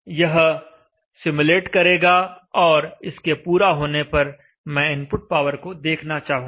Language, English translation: Hindi, And then run the simulation, and then after running the simulation let us observe the input power